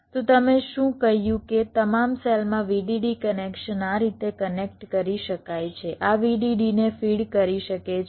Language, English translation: Gujarati, so what you said is that the vdd connections across all the cells can be connected like this